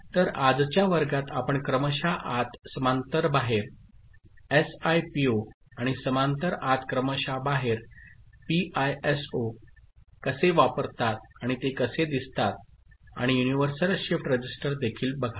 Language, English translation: Marathi, So, in today’s class we shall look at serial in parallel out, SIPO and parallel in serial out, PISO how are they used and how they look like and also universal shift register ok